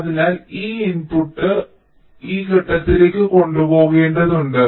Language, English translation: Malayalam, so this output has to be carried to this point